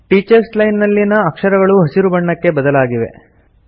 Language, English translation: Kannada, The characters in the Teachers Line have changed to green